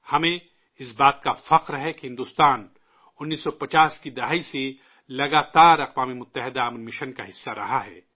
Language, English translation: Urdu, We are proud of the fact that India has been a part of UN peacekeeping missions continuously since the 1950s